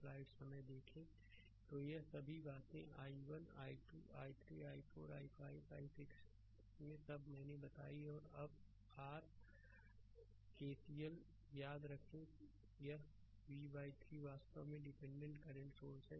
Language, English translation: Hindi, So, all these things ah i 1 i 2 i 3 i 4 i 5 i 6 all I have told and now apply your KCL remember, this v by 3 actually current dependent current source